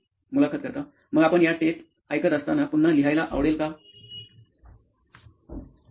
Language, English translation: Marathi, So while you were listening to these tapes, would you again like to write